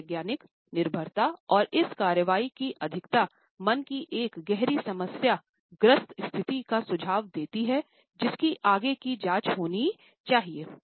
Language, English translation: Hindi, A psychological dependence and overdoing of this action suggest a deep problematic state of mind which should be further investigated into